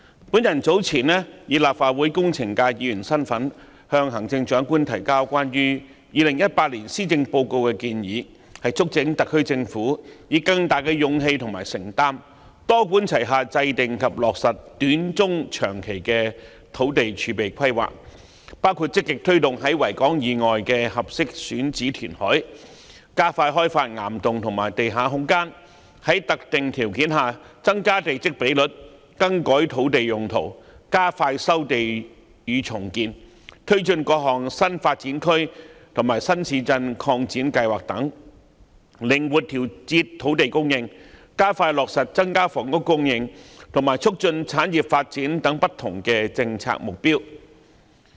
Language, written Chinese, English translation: Cantonese, 我早前以立法會工程界議員的身份，就2018年施政報告向行政長官提交建議，促請特區政府以更大勇氣和承擔，多管齊下制訂及落實短、中、長期的土地儲備規劃，包括積極推動在維多利亞港以外的合適選址填海、加快開發岩洞和地下空間、在特定條件下增加地積比率、更改土地用途、加快收地與重建、推進各項新發展區和新市鎮擴展計劃等、靈活調節土地供應、加快落實增加房屋供應，以及促進產業發展等不同政策目標。, Recently I submitted my proposals on the 2018 Policy Address to the Chief Executive in my capacity as a Member of the engineering sector in the Legislative Council and urged the SAR Government to adopt a multi - pronged approach with greater courage and commitment in formulating and implementing short - medium - and long - term land reserve planning covering various policy objectives such as actively promoting reclamation at suitable sites outside the Victoria Harbour speeding up the development of rock caverns and underground space raising the plot ratio under specific conditions revising land uses expediting land resumption and redevelopment taking forward various expansion plans concerning new development areas and new towns flexibly adjusting land supply expediting the actualization of increasing housing supply and fostering industries development